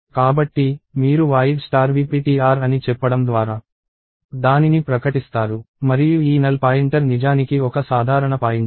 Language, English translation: Telugu, So, you declare it by saying void star v ptr and this void pointer is actually a generic pointer